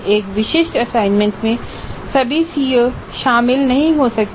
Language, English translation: Hindi, Once again a specific assignment may not cover all the COs